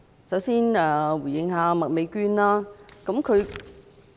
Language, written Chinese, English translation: Cantonese, 首先，我想回應麥美娟議員。, First of all I wish to respond to Ms Alice MAK